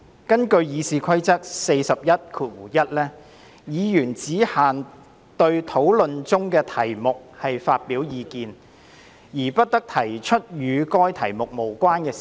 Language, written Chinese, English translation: Cantonese, 根據《議事規則》第411條，"議員只限對討論中的題目發表意見，而不得提出與該題目無關的事宜"。, According to RoP 411 A Member shall restrict his observations to the subject under discussion and shall not introduce matter irrelevant to that subject